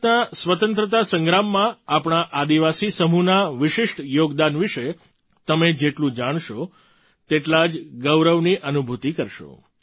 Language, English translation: Gujarati, The more you know about the unique contribution of our tribal populace in the freedom struggle of India, the more you will feel proud